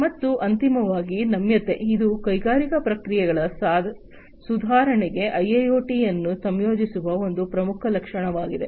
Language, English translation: Kannada, And finally, the flexibility this is also a prime feature of the incorporation of IIoT for improving upon industrial processes